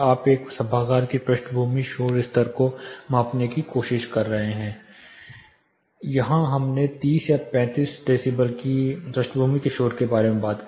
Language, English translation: Hindi, We talked about a quite ambient you are trying to measure background noise level of an auditorium; here we talked about a background noise of 30 or 35 decibel